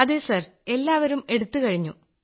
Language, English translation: Malayalam, Yes Sir, all people are done with it…